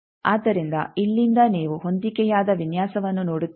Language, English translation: Kannada, So, that from here you see a matched design